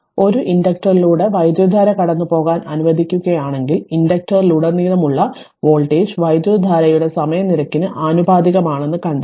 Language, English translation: Malayalam, So if the current is allowed to pass through an inductor it is found that the voltage across the inductor is directly proportional to the time rate of change of current